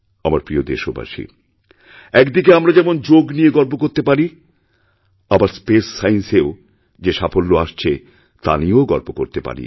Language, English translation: Bengali, My dear countrymen, on the one hand, we take pride in Yoga, on the other we can also take pride in our achievements in space science